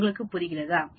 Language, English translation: Tamil, Do you understand